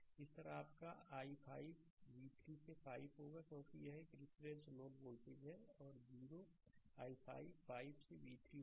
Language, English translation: Hindi, Similarly, your i 5 will be v 3 by 5 right because this is reference node voltage is 0 i 5 will be v 3 by 5